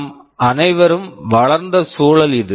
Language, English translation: Tamil, This is the kind of environment where we have all grown up